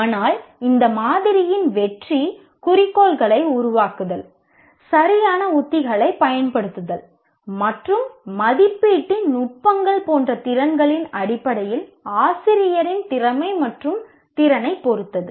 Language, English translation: Tamil, But the success of this model depends on the competency and ability of the teacher in terms of skills like formulation of objectives, use of proper strategies and techniques of evaluation